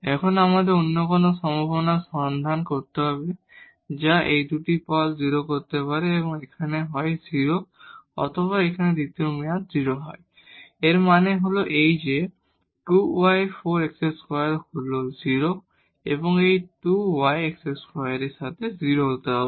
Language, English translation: Bengali, Now we have to also look for any other possibility which can make these 2 terms 0, so here either x is 0 or the second term here is 0; that means, that 2 y and 4 x square is 0 and together with this 2 y plus x square has to be 0